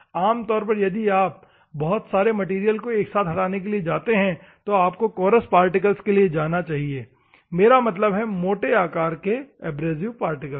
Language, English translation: Hindi, Normally, if you want to go for material removal you should go for big abrasive particles, I mean to say the coarse type of abrasive particles